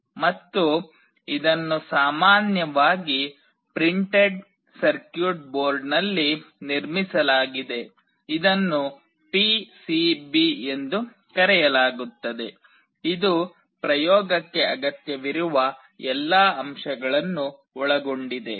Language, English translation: Kannada, And, it is generally built on a printed circuit board that is called PCB containing all the components that are required for the experimentation